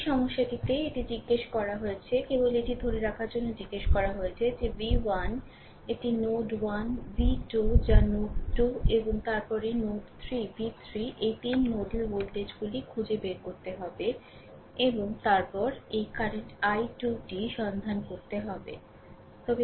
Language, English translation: Bengali, In this in this problem it has been asked, that ah just hold on it has been asked that you have to find out v 1 this is node 1 v 2 that is node 2 and then node 3 v 3 this 3 nodal voltages and then you have to find out this current i 2 right